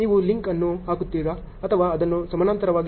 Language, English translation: Kannada, Do you put a link or you show it as parallel